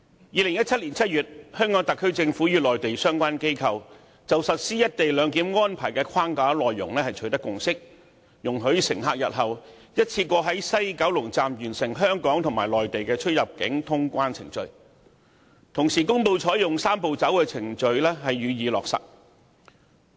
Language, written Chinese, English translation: Cantonese, 2017年7月，香港特區政府與內地相關部門就實施"一地兩檢"安排的框架內容取得共識，容許乘客日後一次過在西九龍站完成香港和內地的出入境通關程序，並公布依據"三步走"程序予以落實。, In July 2017 the HKSAR Government and the relevant Mainland authorities reached a consensus on the framework for implementing a co - location arrangement which allows passengers to complete clearance procedures of both Hong Kong and the Mainland at the West Kowloon Station WKS in one go and announced that the arrangement will be implemented pursuant to a Three - step Process